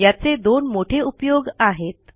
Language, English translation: Marathi, It has two major uses